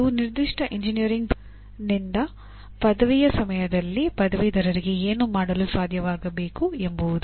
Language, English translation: Kannada, They are what the graduate should be able to do at the time of graduation from a specific engineering program